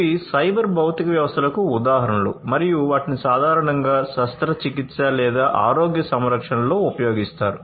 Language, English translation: Telugu, These are examples of cyber physical systems and they are used in surgery or healthcare, in general